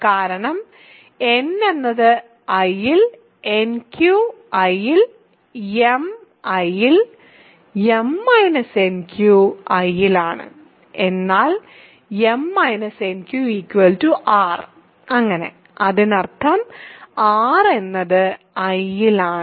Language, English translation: Malayalam, Because, n is in I by ideal property nq is in I, m is in I by ideal property again m minus nq is in I, but the m minus nq is in r is equal to r so; that means, r is in I